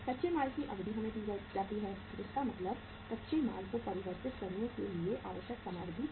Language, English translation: Hindi, The raw material duration is given to us means time period required to convert the raw material